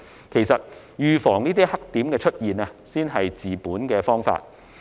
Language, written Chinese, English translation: Cantonese, 其實，預防黑點出現才是治本的方法。, In fact preventing black spots from emerging should be the solution to cure the root of the problem